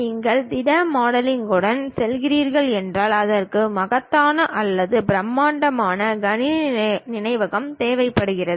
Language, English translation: Tamil, If you are going with solid models, it requires enormous or gigantic computer memory